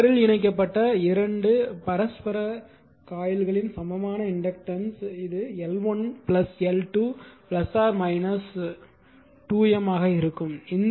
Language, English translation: Tamil, That means the equivalent inductance of the 2 mutually coupled coils connected in series it will be L 1 plus L 2 plus minus 2 M right